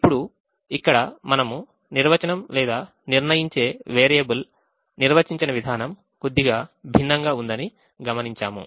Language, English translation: Telugu, now here we observe that the definition or the way the decision variable is defined is a little different